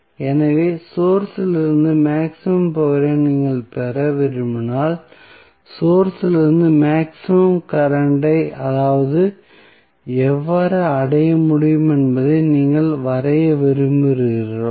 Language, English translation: Tamil, So, when you want to draw maximum power from the source means, you want to draw maximum possible current from the source how it will be achieved